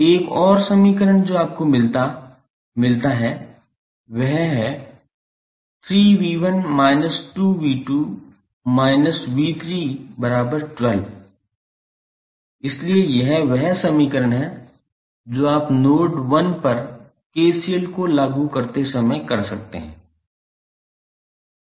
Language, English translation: Hindi, So, one equation which you got is 3V 1 minus 2V 2 minus V 3 is equal to 12, so this is the equation you got while applying KCL at node 1